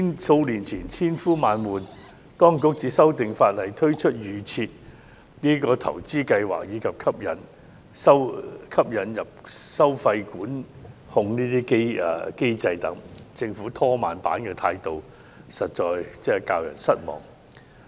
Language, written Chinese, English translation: Cantonese, 數年前，當局千呼萬喚才修訂法例，推出預設投資策略及引入收費管控等機制，但政府"拖慢板"的態度實在教人失望。, Despite our repeated requests it was only several years ago that the Administration started to amend the legislation through which the Default Investment Strategy and fee control mechanisms were introduced . Nevertheless the attitude of procrastination adopted by the Government is really disappointing